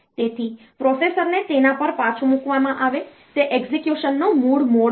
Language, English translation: Gujarati, So, that the processor is put back to it is original mode of execution